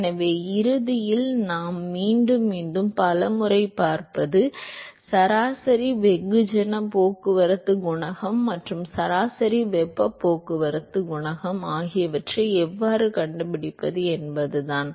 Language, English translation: Tamil, So, ultimately what we will see over and over again many number of times is how to find average mass transport coefficient and average heat transport coefficient